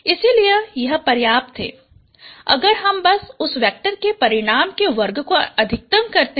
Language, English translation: Hindi, So it is sufficient if I simply maximize the square of the magnitudes, dude of that vector